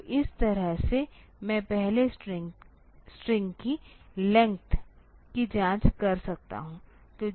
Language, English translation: Hindi, So, this way I can check the; I can get the length of the first string